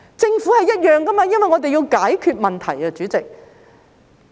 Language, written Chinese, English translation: Cantonese, 政府也是一樣，因為我們要解決問題，主席。, President this also holds true for the Government because we have to solve problems